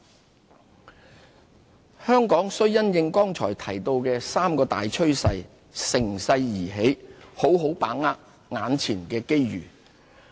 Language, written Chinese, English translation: Cantonese, 把握機遇香港須因應剛才提到的三大趨勢，乘勢而起，好好把握眼前的機遇。, In response to the three major trends just mentioned Hong Kong needs to consolidate and build on its existing strengths rise with the tide and seize the opportunities before us